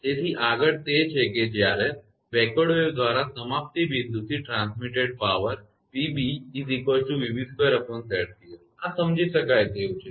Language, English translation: Gujarati, So, next is that whereas the power transmitted from the termination point by the backward wave it will be P b will be v b square upon Z c, this is understandable right